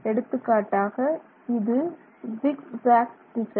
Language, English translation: Tamil, This is the zigzag direction